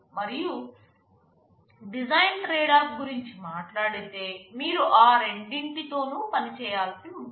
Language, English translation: Telugu, And talking about the design trade off, you will have to play with both of them